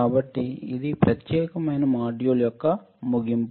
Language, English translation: Telugu, So, this is end of this particular module